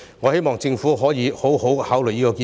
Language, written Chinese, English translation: Cantonese, 我希望政府可以好好考慮這項建議。, I hope that the Government can consider this proposal carefully